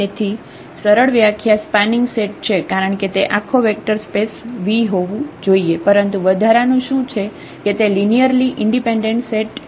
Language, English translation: Gujarati, So, the simple definition it is a spanning set because it should span the whole vector space V, but what is in addition that the linearly independent set